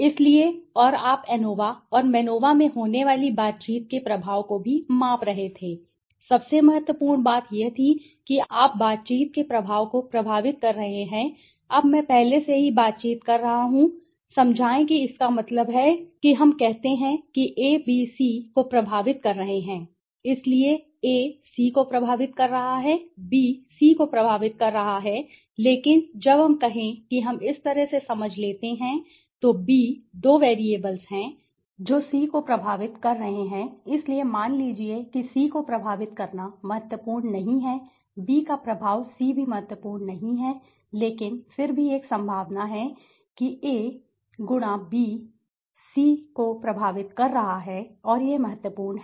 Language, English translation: Hindi, So and you were also measuring the impact of interactions in ANOVA and MANOVA the most important thing was you are effecting the impact of interaction, now interactions I had already explain that means let us say a, b are effecting c, so a is affecting c, b is effecting c but when let us say let us understand this way so a b are two variables effecting c right so suppose a is effecting c that thing is not significant, b effecting c is also not significant but however there is a possibility that a*b is effecting c and this is significant